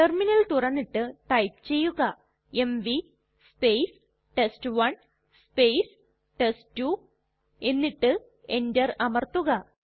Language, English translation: Malayalam, We open the terminal and type mv space test1 space test2 and press enter